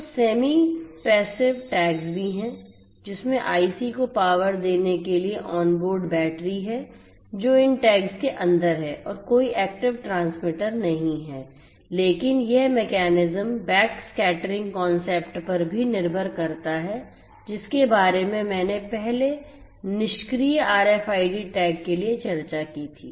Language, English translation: Hindi, So, there are semi passive tags as well which has an onboard battery to power the IC, that is embedded that is inside these tags and there is no active transmitter, but this mechanism also relies on backscattering concept that I discussed previously for the passive RFID tags